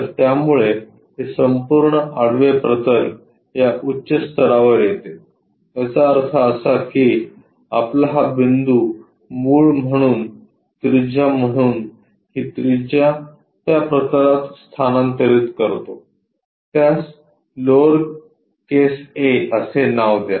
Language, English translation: Marathi, So, that this entire horizontal plane comes at this top level; that means, our point with this one as origin, this one as the radius, transfer this radius onto that plane name it lower case letter a